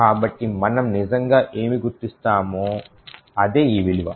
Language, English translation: Telugu, So, what exactly is this value, is what we will actually identify